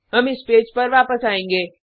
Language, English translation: Hindi, We will come back to this page